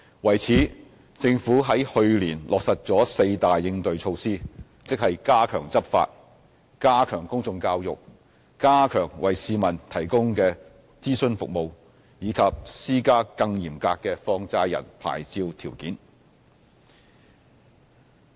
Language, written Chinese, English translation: Cantonese, 為此，政府在去年落實了四大應對措施，即加強執法、加強公眾教育、加強為市民提供的諮詢服務，以及施加更嚴格的放債人牌照條件。, To address the problem the Government has adopted a four - pronged approach which includes enhanced enforcement enhanced public education enhanced advisory services to the public and more stringent licensing conditions on money lender licences